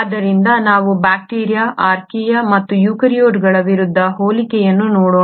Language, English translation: Kannada, So let us look at the comparison against bacteria, Archaea and eukaryotes